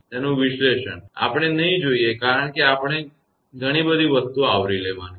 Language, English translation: Gujarati, Its analysis, we will not go because we have to cover many things